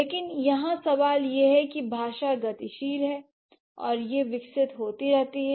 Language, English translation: Hindi, But the question here is that language is dynamic and it keeps evolving